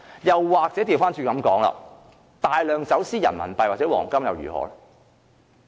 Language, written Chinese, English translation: Cantonese, 又或反過來說，大量走私人民幣或黃金又如何？, Conversely how should we handle cases involving the smuggling of a large amount of Renminbi or huge value of gold?